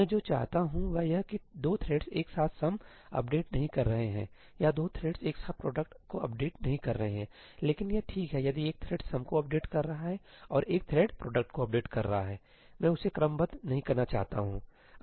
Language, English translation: Hindi, What I want is that 2 threads should not simultaneously be updating sum or 2 threads should not be simultaneously updating prod, but itís fine if one thread is updating sum and one thread is updating prod; I do not want to serialize that